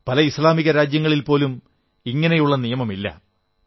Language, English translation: Malayalam, Even in many Islamic countries this practice does not exist